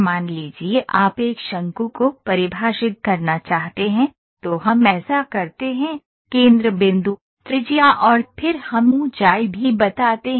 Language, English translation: Hindi, Suppose you want to define a cone, we do this, centre point, radius and then we also tell the height